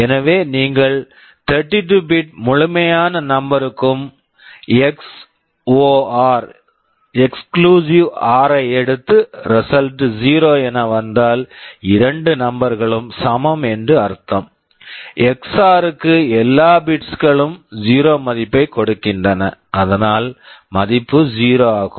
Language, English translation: Tamil, So, if you take XOR of entire 32 bit numbers and see the result is 0, this means that the two numbers are equal, all the bits are giving XOR value of 0, that is why the result is 0